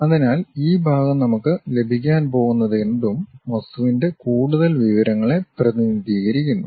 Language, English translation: Malayalam, So, this part whatever we are going to get represents more information of the object